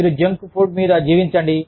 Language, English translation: Telugu, You just survive on, junk food